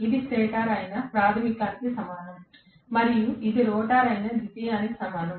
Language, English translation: Telugu, This is equivalent to primary which is the stator and this is equivalent to secondary which is the rotor